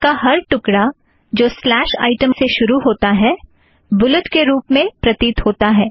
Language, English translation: Hindi, Every piece of text that starts with a slash item appears in a bulleted form